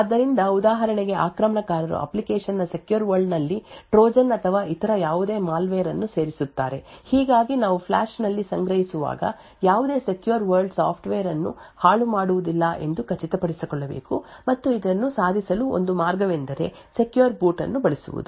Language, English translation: Kannada, So, for example an attacker would insert Trojan’s or any other malware in the secure component of the application thus we need to ensure that no secure world software gets tampered with while storing in the flash and one way to achieve this is by using secure boot